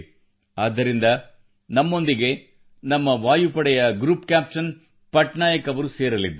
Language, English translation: Kannada, That is why Group Captain Patnaik ji from the Air Force is joining us